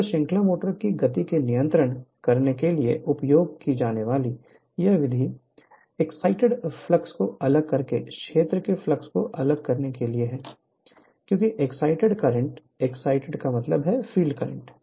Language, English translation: Hindi, So, this method used used for controlling the speed of the series motor is to vary the field flux by varying the your, excitation current because, the excitation current means the field current right